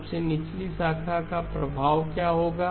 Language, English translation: Hindi, What will be the effect of the lowest branch